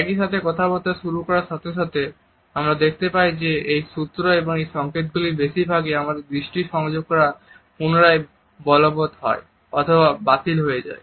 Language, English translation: Bengali, At the same time once the dialogue begins, we find that most on these cues and signals are either reinforced or negated by our eye contact